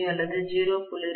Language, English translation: Tamil, 25 or 0